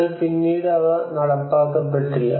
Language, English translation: Malayalam, But then they were barely implemented